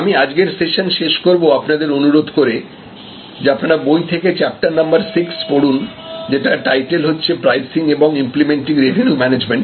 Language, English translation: Bengali, So, I will conclude today's session by requesting you to read chapter number 6 from the book, which is the chapter title setting prices and implementing revenue management